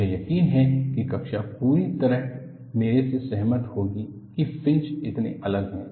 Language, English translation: Hindi, I am sure the class would entirely agree with me that, the fringes are so different